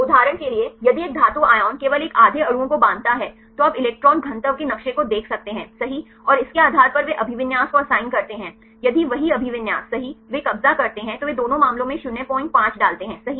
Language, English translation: Hindi, For example, if a metal ion binds only one half of the molecules you can see the electron density map right and based on that they assign the occupancy if the same orientation right they occupy then they put the 0